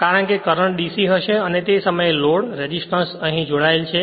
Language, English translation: Gujarati, Since the current will be DC, and that is the sum load resistance is connected here right